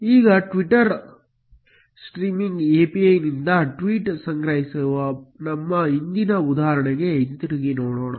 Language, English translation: Kannada, Now, let us go back to our previous example of tweet collection from Twitter Streaming API